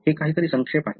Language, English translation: Marathi, So, this is something a recap